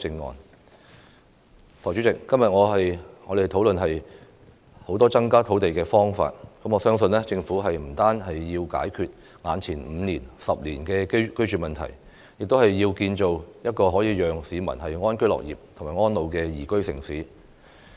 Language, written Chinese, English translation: Cantonese, 代理主席，今天我們討論了很多增加土地的方法，我相信政府不單要解決眼前5年、10年的居住問題，而是要建造可以讓市民安居樂業和安老的宜居城市。, Deputy President we have held discussion on a number of ways to increase land supply . I believe the Government should not only solve the housing issue in the next five to 10 years but also build a liveable city that allows the public to live and age in peace and contentment